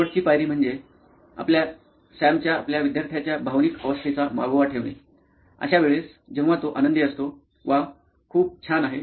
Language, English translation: Marathi, One last step which is important is to track the emotional status of your, of the student, of Sam, so there are times when he is happy, with wow this is great